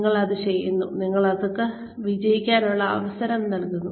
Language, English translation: Malayalam, You do that, you give them, opportunity to succeed